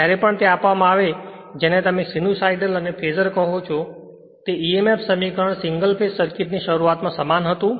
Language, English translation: Gujarati, Whenever we have given that your what you call that sinusoidal and phasor and that emf equation were the beginning of the single phase circuit the same philosophy right